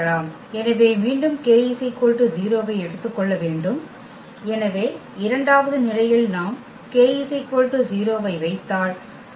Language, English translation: Tamil, So, again note that that for k is equal to 0, so, in the second condition for instance if we put k is equal to 0 that will give us that F